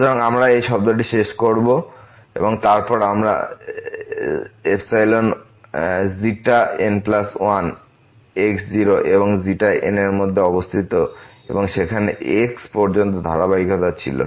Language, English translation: Bengali, So, we will end up with this term and then here the xi plus 1 lies between and the xi n and there was a continuity up to there